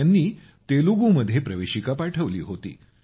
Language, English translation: Marathi, She had sent her entry in Telugu